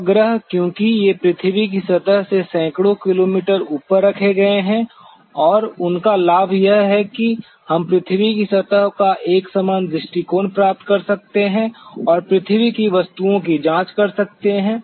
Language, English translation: Hindi, Satellites, because these are placed hundreds of kilometers above the surface of the earth and they are the advantage is that we can get a synoptic view of the earth surface and could examine the earth objects